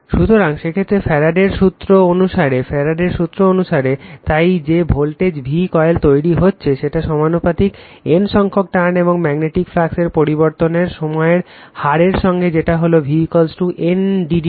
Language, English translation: Bengali, So, in that case what according to Faraday’s law right, according to your Faraday’s law, so your the voltage v induced in the coil is proportional to the number of turns N and the time rate of change of the magnetic of the flux that is we know, the v is equal to N into d phi by d t right